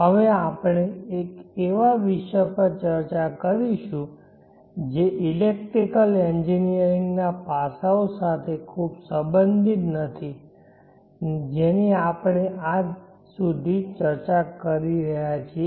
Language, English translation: Gujarati, We shall now discuss on a topic that is not very much related to the electrical engineering aspects that we have been discussing till now